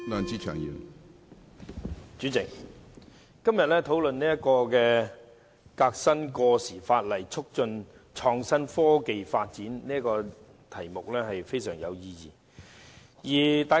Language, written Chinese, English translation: Cantonese, 主席，今天討論"革新過時法例，促進創新科技發展"議案是非常有意義的。, President the motion on Reforming outdated legislation and promoting the development of innovation and technology under discussion today is extremely meaningful